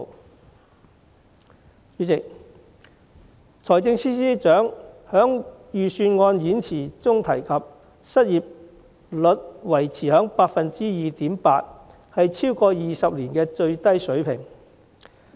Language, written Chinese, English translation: Cantonese, 代理主席，財政司司長在預算案演辭中提及，失業率維持在 2.8%， 是超過20年的最低水平。, Deputy President the Financial Secretary mentioned in the Budget Speech that the unemployment rate remained at 2.8 % which is the lowest level in more than 20 years